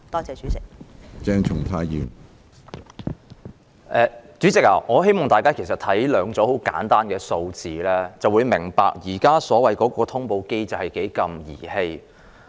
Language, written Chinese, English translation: Cantonese, 主席，大家看看兩組十分簡單的數字，便會明白現時所謂的通報機制多麼兒戲。, President we will understand how trifling this so - called notification mechanism is if we look at two sets of very simple figures